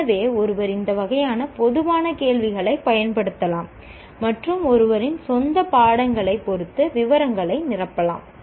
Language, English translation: Tamil, So, one can use this kind of generic questions and fill in the details with respect to one's own subjects